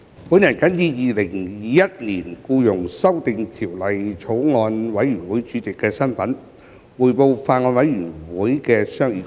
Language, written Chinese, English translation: Cantonese, 主席，我謹以《2021年僱傭條例草案》委員會主席的身份，匯報法案委員會的商議工作。, President in my capacity as Chairman of the Bills Committee on Employment Amendment Bill 2021 I will report on the deliberations of the Bills Committee